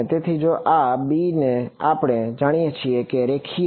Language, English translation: Gujarati, So, if this is b and we know it is linear right